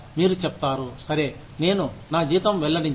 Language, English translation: Telugu, You say, okay, I will not disclose my pay